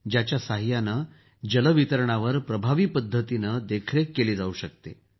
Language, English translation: Marathi, With its help, effective monitoring of water distribution can be done